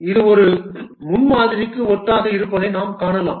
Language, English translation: Tamil, You can see that it is similar to a prototype